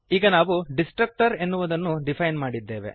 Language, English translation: Kannada, Now we have defined a Destructor